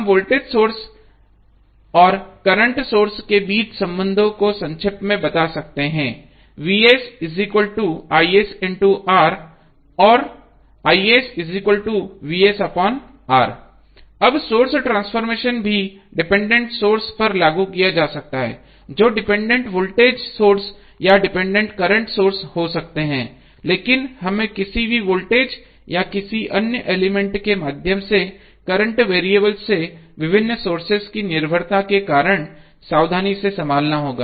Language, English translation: Hindi, Now, source transformation can also be applied to dependent sources that maybe the dependent voltage source or dependent current source but, this we have to handle carefully because the dependency of various sources from the any voltage or current variable through some other element